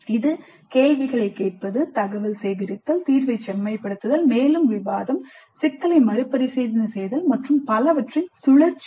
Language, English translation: Tamil, So it is a cycle of asking questions, information gathering, refining the solution, further discussion, revisiting the problem and so on